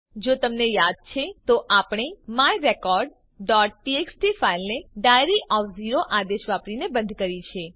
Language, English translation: Gujarati, If you recall that, we had closed the file my record.txt using the command diary of zero